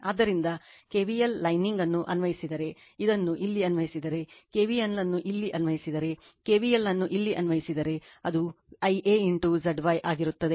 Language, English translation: Kannada, So, if you apply your K KM lining this one if you apply your you this here if you apply KVL here, if you apply KVL here, it will be I a into Z y right